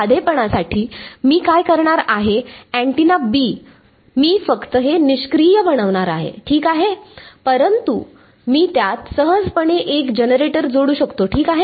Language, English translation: Marathi, For simplicity, what I am going to do is the antenna B, I am just going to make it passive ok, but I can easily add a generator to it ok